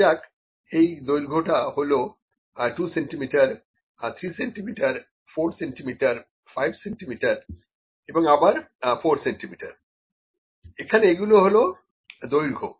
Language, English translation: Bengali, This is a length let me say 2 centimetres, 3 centimetres, 4 centimetres, 1 centimetres, 5 centimetres, and again 4 centimetres, these are the lengths here, ok